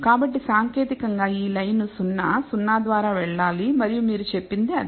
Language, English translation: Telugu, So, this line technically should pass through 0, 0 and that is what you have said